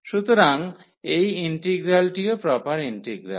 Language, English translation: Bengali, So, this integral is also proper integral